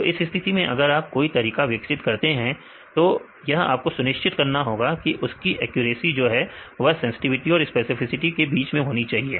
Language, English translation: Hindi, So, in this case if you develop your method you have to make sure that your accuracy lies between sensitivity and specificity